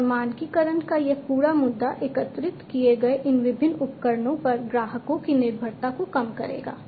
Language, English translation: Hindi, And this whole issue of standardization will reduce the customers reliance on these different equipments that are collected